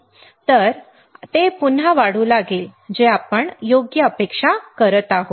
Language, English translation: Marathi, Now, again it will start rising which is what we are expecting correct